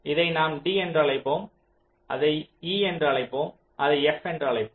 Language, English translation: Tamil, lets call it d, lets call it e, lets call it f